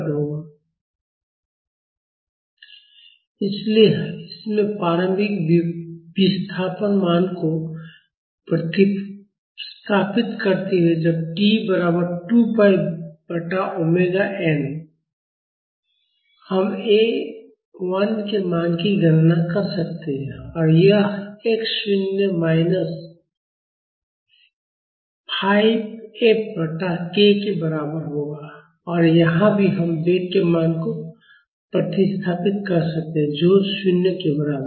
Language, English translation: Hindi, So, substituting the initial displacement value in this, when t is equal to 2 pi by omega n; we can calculate the value of A 1 and that will be equal to x naught minus 5 F by k and here also, we can substitute the value of the velocity which is equal to 0